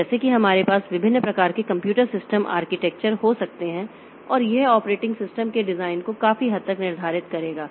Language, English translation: Hindi, So, like that we can have different type of computer system architecture and that will determine the design of the operating system to a great extent